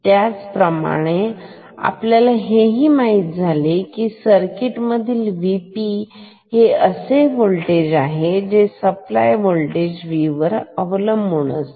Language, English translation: Marathi, Similarly, here you know in this circuit V P is at this voltage which depends on V supply